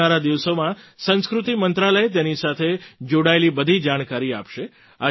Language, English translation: Gujarati, In the coming days, the Ministry of Culture will provide all the information related to these events